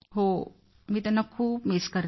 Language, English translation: Marathi, Yes, I miss him a lot